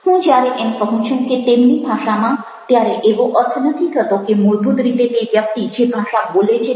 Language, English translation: Gujarati, when i say in their own language, it does not mean that basically the language or the person is speaking there is a language with